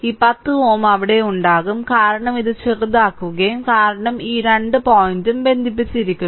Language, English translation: Malayalam, This 10 ohm will be there, because it will be shorted these 2 point is connected